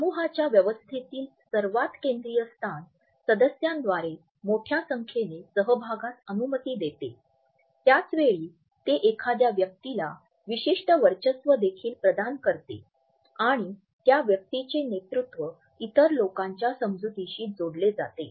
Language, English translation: Marathi, The most central location in a group physical arrangement allows for greater participation by the members, at the same time it also provides a certain dominance to a person and it is also linked with the perception of other people that the leadership of that individual is being perceived